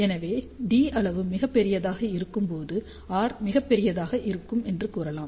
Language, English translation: Tamil, So, you can say that r will be very large when the dimension d is very large